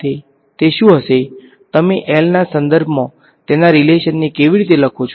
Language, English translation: Gujarati, What would it be, how would you write its relation with respect to L